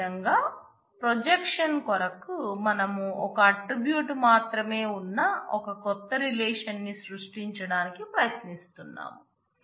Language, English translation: Telugu, Similarly, for projection if we do a projection on a then all that we are trying to do is we are trying to create a new relation where only the a attribute exists